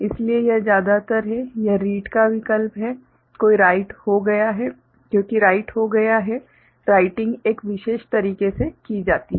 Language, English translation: Hindi, So, it is mostly it is reading option because write is done, writing is a done in a special manner